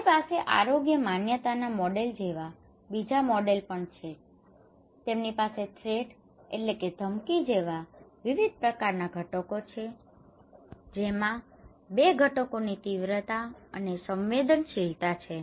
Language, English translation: Gujarati, Also we have another models like health belief models, they have various kind of components like threat which has two components severity and susceptibility